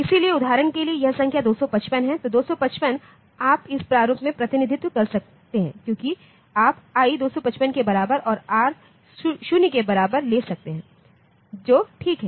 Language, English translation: Hindi, So, this for example, the number 255, so 255 you can represent in this format because I you can take i equal to 255 and r equal to 0 that is fine